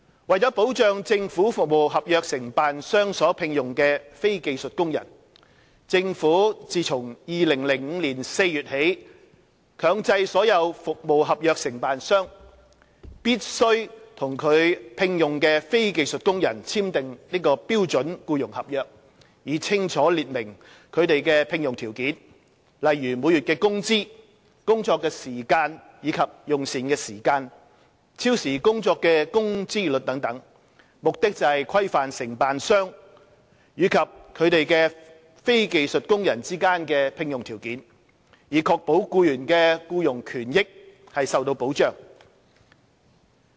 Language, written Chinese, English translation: Cantonese, 為保障政府服務合約承辦商所聘用的非技術工人，政府自2005年4月起，強制所有服務合約承辦商必須與其聘用的非技術工人簽訂標準僱傭合約，以清楚列明他們的聘用條件，例如每月工資、工作時間及用膳時間、超時工作的工資率等，目的是規範承辦商與其非技術工人之間的聘用條件，以確保僱員的僱傭權益受到保障。, In order to protect the non - skilled workers employed by government service contractors the Government has since April 2005 mandated all service contractors to sign an SEC with the non - skilled workers employed by them to set out clearly their employment package such as the monthly wages working hours meal breaks overtime rates and so on with a view to regularizing the employment package agreed upon between contractors and their non - skilled workers ensuring that the employment interests of employees are protected